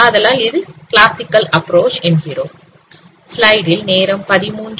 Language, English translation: Tamil, So this is the classical approach